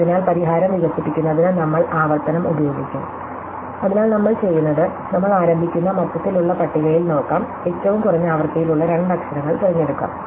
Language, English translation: Malayalam, So, in order to develop the solution, we will use recursion, so what we will do is, we will say, let us look in the overall table that we start with and pick two letters, which have the lowest frequency